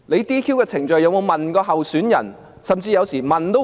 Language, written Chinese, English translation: Cantonese, "DQ" 的程序有否向候選人提出問題？, Are questions posed to candidates in the DQ procedure?